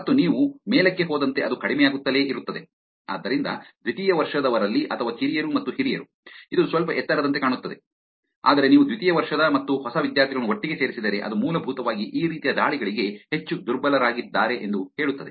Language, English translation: Kannada, And as you go up it keeps reducing, so from or junior and senior in sophomore, it looks like little high, but if you put the sophomore and freshman together it basically says that the younger the people the more vulnerable they are to these kind of attacks